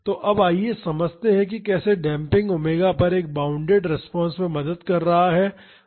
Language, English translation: Hindi, So, now, let us understand how damping is helping to have a bounded response at omega is equal to omega n